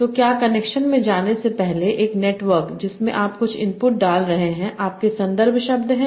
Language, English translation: Hindi, So before going into what are the connections and network, you are putting some inputs that are your context words